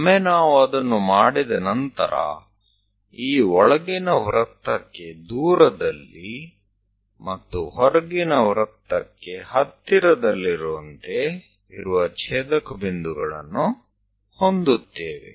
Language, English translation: Kannada, Once we are doing after that, we have these intersection points which are away from the inner circle and into that outer circle